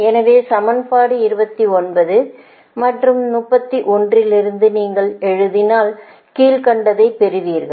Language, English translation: Tamil, so thats why, writing from equation twenty nine and thirty one, right, if you do so you will get pik